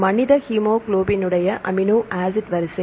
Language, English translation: Tamil, So, this is the amino acid sequence for human hemoglobin